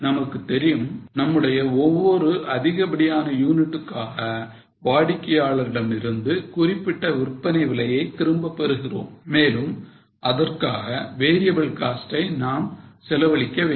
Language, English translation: Tamil, We know that for every extra unit we are able to recover certain sale price from the customer and we have to incur variable costs for it